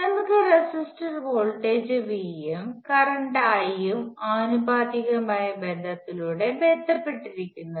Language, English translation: Malayalam, So, let us take resistor the voltage V and current I R related by a proportionality relationship